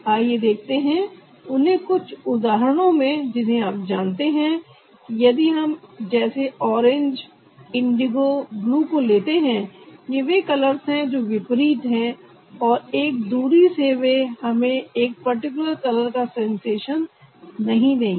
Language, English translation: Hindi, let's see that in some example, that you know, if we pickup colors like orange, indigo, blue, they are the color which are opposite and they won't give us a sensation of a particular color from a far away distance